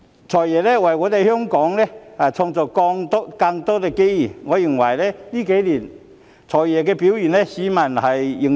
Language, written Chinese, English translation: Cantonese, "財爺"為香港創造了更多機遇，我認為他這數年的表現得到市民認同。, FS has created more opportunities for Hong Kong and I think his performance in the past few years has won the recognition of the public